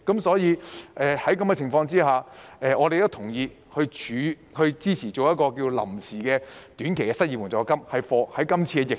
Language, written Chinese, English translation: Cantonese, 所以，在這種情況下，我們都同意及支持成立臨時的短期失業援助金，以應對今次疫情。, For this reason we all approve of and support the establishment of an interim short - term unemployment assistance to cope with the epidemic